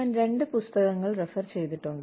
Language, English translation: Malayalam, I have referred to, two books